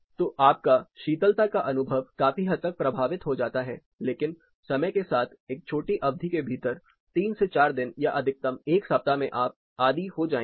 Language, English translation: Hindi, So, the perception of the chillness considerably gets effected, but over a period of time say within a short duration say three to four days or maximum week you will get acustom to